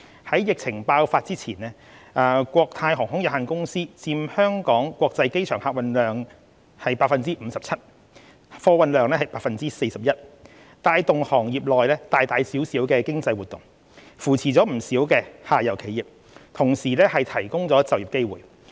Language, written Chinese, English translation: Cantonese, 在疫情爆發之前，國泰航空有限公司佔香港國際機場客運量的 57% 及貨運量的 41%， 帶動行業內大大小小的經濟活動，扶持不少下游企業，同時提供就業機會。, Before the outbreak of the COVID - 19 pandemic Cathay Pacific Airways Limited Cathay accounted for 57 % and 41 % of the overall passengers and freight carried by the Hong Kong International Airport respectively . Cathay is key in driving different types of economic activities within the industry supporting many in the downstream and providing job opportunities